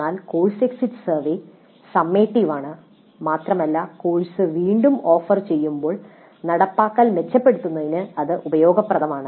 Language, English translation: Malayalam, But course exit survey is summative in nature and is useful for improving the implementation when the course is offered again